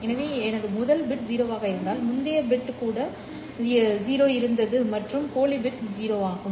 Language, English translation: Tamil, So if my first bit is zero the previous bit was also or the dummy bit is zero